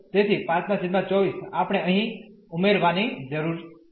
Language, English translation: Gujarati, So, 5 by 24 we need to add here